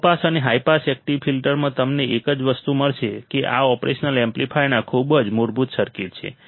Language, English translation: Gujarati, The only thing you would find in low pass and high pass active filters is that these are very basic circuits of the operational amplifier